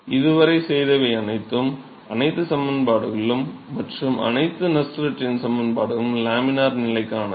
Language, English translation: Tamil, So, all that have been done so far; all equations and all Nusselt number expression are for laminar conditions